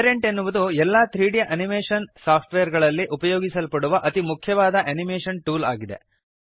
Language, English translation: Kannada, Parentis the most important animation tool used in all 3D animation softwares